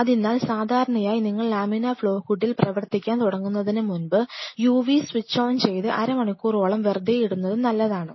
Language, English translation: Malayalam, So, generally before you start working on laminar flow hood it is good idea to switch on a UV before that and leave it on for half an hour or So